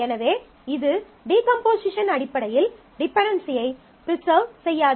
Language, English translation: Tamil, So, this will not preserve the dependencies in terms of the decomposition